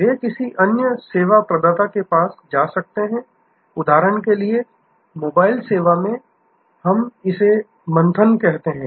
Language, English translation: Hindi, They can go to another service provider, which in for example, in mobile service, we call churning